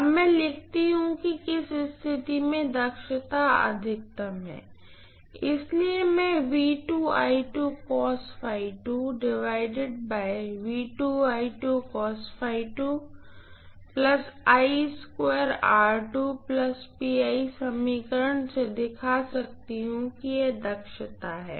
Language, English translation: Hindi, Now let me write, under what condition efficiency is maximum, let me try to derive this under what condition, right